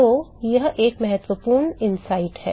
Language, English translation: Hindi, So, that is an important inside